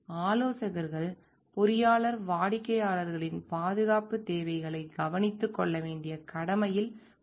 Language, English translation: Tamil, Consultant engineers are under an obligation to take care of the safety needs of the clients